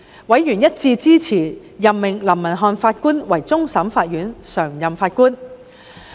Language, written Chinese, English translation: Cantonese, 委員一致支持任命林文瀚法官為終審法院常任法官。, Members unanimously supported the appointment of Mr Justice LAM as a PJ of CFA